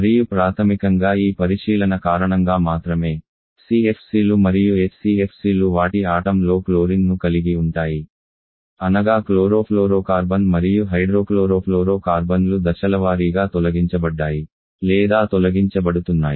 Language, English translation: Telugu, And primary because of this consideration only the CFC and HCFC which has chlorine in their molecule that is chlorofluorocarbon and hydrochlorofluorocarbons has been or are being phased out